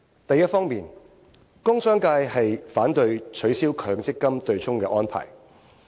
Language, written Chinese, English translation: Cantonese, 第一方面，工商界反對取消強積金對沖安排。, First the commerce and industry sector rejects the abolition of MPF offsetting arrangement